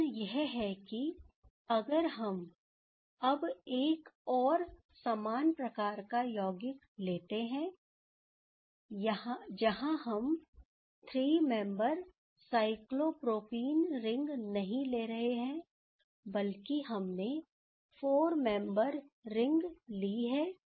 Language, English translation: Hindi, Question is that if we now take another similar type of compound, where these we are not taking the 3 membered cyclopropene ring, rather we have taken the 4 membered ring